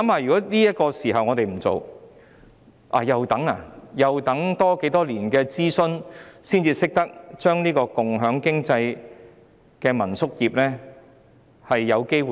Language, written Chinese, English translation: Cantonese, 試想想，如果現時不做，要再等待多少年的諮詢才有機會把共享經濟的民宿業做好呢？, Just imagine if we did nothing now . How many years of consultation would we need to wait for before having a chance to properly develop the homestay industry in the sharing economy?